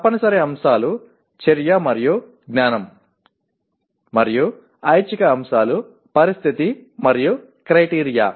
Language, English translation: Telugu, The compulsory elements are action and knowledge and optional elements are condition and criteria